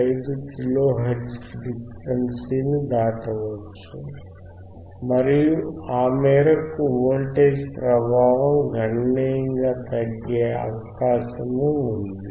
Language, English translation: Telugu, 5 kilo hertz again you will be able to see that the voltage is decreasing significantly